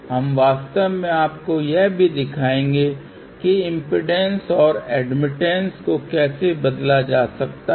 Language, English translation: Hindi, We will actually show you also how impedance and admittance can be interchanged